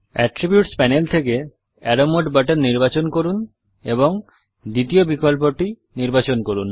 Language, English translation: Bengali, Let us choose the polyline button Let us select the Arrow Mode button from the attributes panel and select the second option